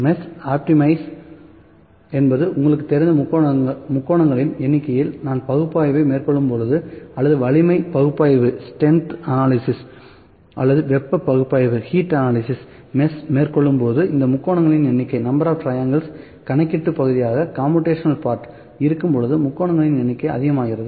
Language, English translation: Tamil, Optimize mesh means, the number of triangles you know when we conduct the analysis or when we to conduct the strength analysis or heat analysis this is the mesh, the number of triangles makes when more the number of triangles are moved be the computational part